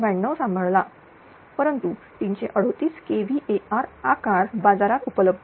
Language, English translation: Marathi, 92 right, but 338 kilo hour capacitor size is not available in the market